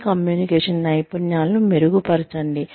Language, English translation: Telugu, Improve your communication skills